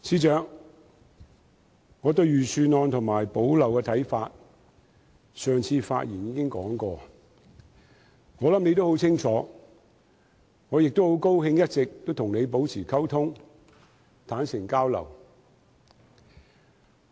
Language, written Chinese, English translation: Cantonese, 司長，我對財政預算案和"補漏拾遺"方案的看法，我上次發言時已說過，我想你也很清楚，我亦很高興一直與你保持溝通，坦誠交流。, Financial Secretary I expressed my views on the Budget and the gap - plugging initiatives in my last speech and I believe you likewise have a clear understanding about them . I am also pleased to have all along maintained communication with you and exchanged views candidly